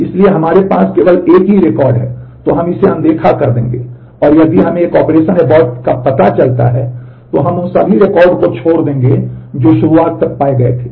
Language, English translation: Hindi, So, if we have a redo only record, then we will ignore it and if we find an operation abort, then we will skip all the records that were found till the beginning